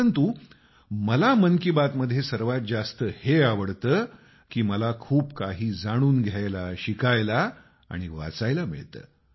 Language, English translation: Marathi, But for me the best thing that I like in 'Mann Ki Baat' is that I get to learn and read a lot